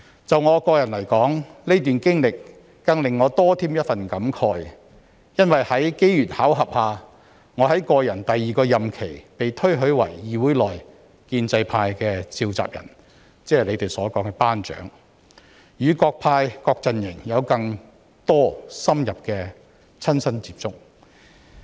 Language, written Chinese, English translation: Cantonese, 就我個人來說，這段經歷更令我倍添感慨，因為在機緣巧合下，我在個人第二個任期被推舉為議會內建制派的召集人，即他們所說的"班長"，與各派各陣營有更多深入的親身接觸。, Personally this experience has evoked strong emotions in me because I was elected the convenor for the pro - establishment campin the Council by chance during my second term of office and thus had more in - depth personal contact with Members from various factions and camps